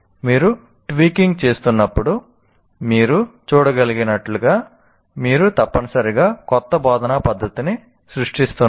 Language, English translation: Telugu, So as you can see when you are tweaking you are creating essentially new instructional method